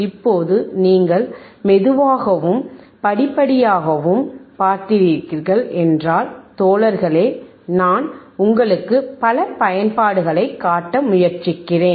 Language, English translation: Tamil, Now guys you see slowly and gradually I am trying to show you several applications